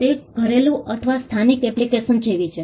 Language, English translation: Gujarati, It is more like a domestic or local application